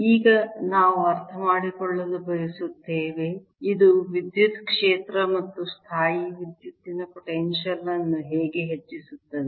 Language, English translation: Kannada, now we want to understand how does this give rise to electric field and electrostatic potential